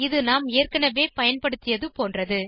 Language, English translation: Tamil, It is similar to the one we used earlier